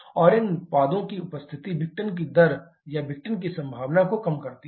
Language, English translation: Hindi, And the presence of these products reduces the rate of disassociation or probability of dissociation